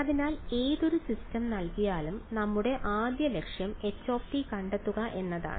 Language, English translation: Malayalam, So, given any system our first objective is let me characterize a system means let me find out h